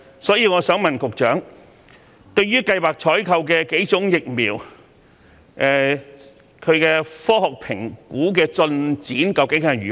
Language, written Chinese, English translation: Cantonese, 所以，我想問局長，對於計劃採購的數款疫苗，它們的科學評估進展究竟如何？, Therefore I would like to ask the Secretary what exactly is the progress of the scientific assessments of the several vaccines that are planned to be procured?